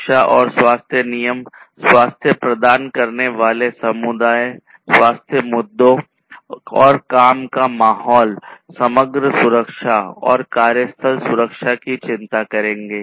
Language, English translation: Hindi, Safety and health regulations will concern the health issues providing healthy and working environment and also the overall safety, workplace safety, and so on